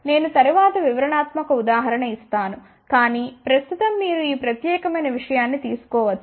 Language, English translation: Telugu, I will give detailed example later on, but right now you can take this particular thing